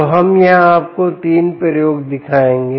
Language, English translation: Hindi, ok, so we will show you three experiments here